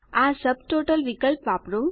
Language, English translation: Gujarati, Use the Subtotal option